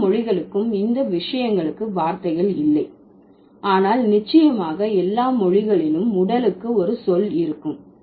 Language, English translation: Tamil, So, maybe not all languages have words for these things, but for sure all languages will have a word for body